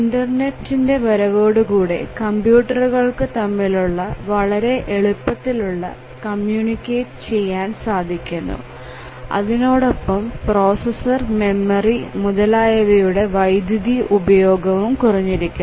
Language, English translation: Malayalam, The internet has come in and there is tremendous flexibility for different computers to communicate to each other and also the power consumption of the processors and memory have drastically reduced